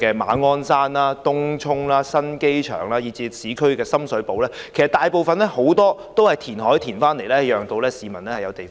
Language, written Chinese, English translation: Cantonese, 馬鞍山、東涌、新機場，以至市區的深水埗，其實大部分也是填海得來的土地。, Most of the land in Ma On Shan Tung Chung the new airport area as well as Sham Shui Po in the urban area actually came from reclamation